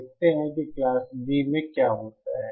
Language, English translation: Hindi, Let us see what happens in Class B